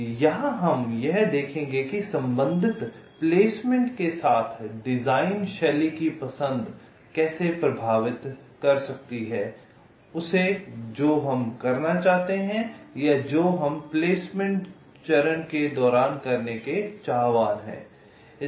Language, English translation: Hindi, so here we shall see that with respective placement, how the choice of the design style can impact or can can effect exactly what we want to do, or you you what we intend to do during the placement phase